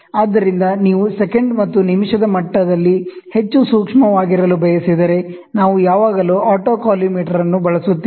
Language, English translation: Kannada, So, if you want to be more sensitive in second level and the minute level, then we always use autocollimator